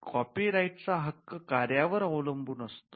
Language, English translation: Marathi, Copyright subsists in original works